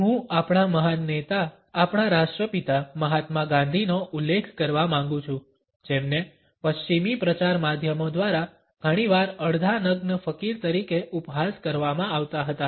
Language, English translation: Gujarati, I would like to refer to our great leader, the father of our nation Mahatma Gandhi who was often ridiculed by the western media as the half naked fakir